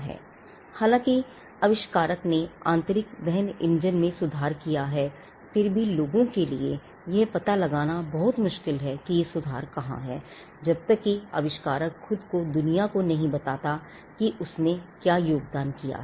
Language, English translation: Hindi, So, though there is an improvement that the inventor has made with regard to the internal combustion engine, it will be very difficult for people to ascertain where that improvement is, unless the inventor himself tells the world as to what was the contribution that he made